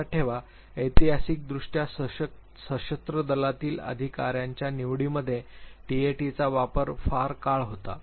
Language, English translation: Marathi, Remember, historically for a very very longer period time TAT has been in usage in the selection of officers for the armed forces